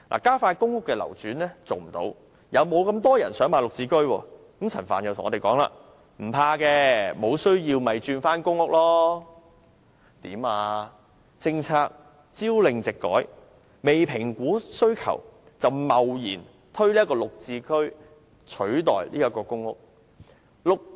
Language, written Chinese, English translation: Cantonese, 政府究竟想怎樣？政策朝令夕改，未評估需求便貿然推出"綠置居"取代公屋。, What exactly does the Government want changing policies at whim by rashly replacing public housing with GHS even before assessing the demands